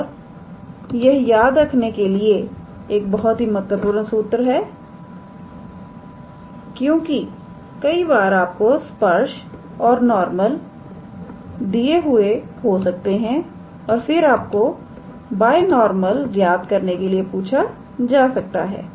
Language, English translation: Hindi, And this is a very important formula to remember because I mean sometimes you might be given tangent and normal and then you are asked to calculate binormal